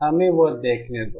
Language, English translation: Hindi, Let us see that